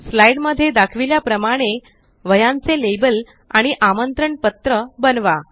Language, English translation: Marathi, Create a note book label and an invitation as shown in this slide